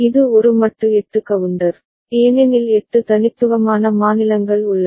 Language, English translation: Tamil, And it is a modulo 8 counter, because 8 distinct states are there